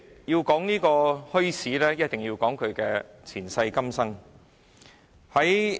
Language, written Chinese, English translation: Cantonese, 要討論墟市，便須提到其前世今生。, To discuss bazaars one has to mention its ins and outs